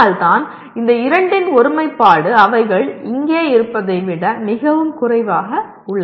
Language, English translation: Tamil, So that is why the alignment of these two is lot less than if they are here